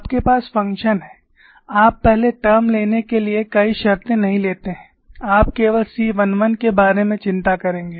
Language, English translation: Hindi, you have the function phi, you do not take many terms just take the first term, and you will only worry about C 1 1